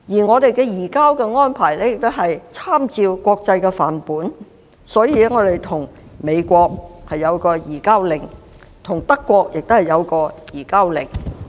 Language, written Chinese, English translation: Cantonese, 我們的移交安排參照國際範本，與美國有一項移交令，與德國亦如是。, Our surrender arrangement was modeled on the international norm . There are Fugitive Offenders Orders between Hong Kong and the United States as well as with Germany